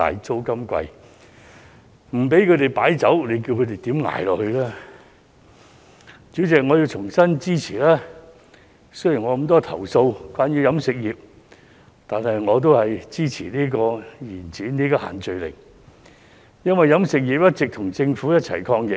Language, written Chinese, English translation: Cantonese, 主席，我要重申，雖然我對於飲食業受到的限制有這麼多投訴，但我亦支持延展限聚令，因為飲食業一直跟政府共同抗疫。, President I wish to reiterate that although I have so many complaints about the restrictions on the catering industry I also support the extension of social gathering restrictions because the catering industry has all along been working hand in hand with the Government to fight the epidemic